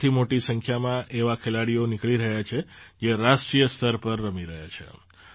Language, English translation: Gujarati, A large number of players are emerging from here, who are playing at the national level